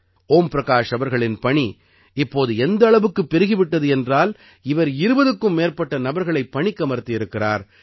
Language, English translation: Tamil, Om Prakash ji's work has increased so much that he has hired more than 20 people